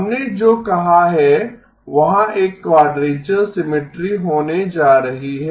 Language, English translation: Hindi, What we have said is there is going to be a quadrature symmetry